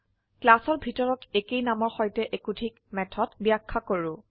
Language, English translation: Assamese, Define two or more methods with same name within a class